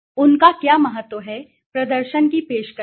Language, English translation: Hindi, What is the importance they have offered to performance